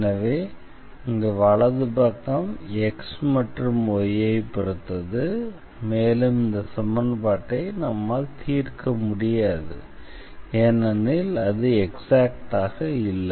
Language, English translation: Tamil, So, here this depends on x and y, and we cannot solve this equation because this is inconsistent now